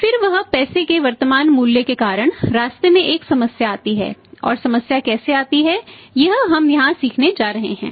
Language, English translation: Hindi, Then that is because of the present value of money there comes a problem in the way and how the problem comes in the way that we are going to learn here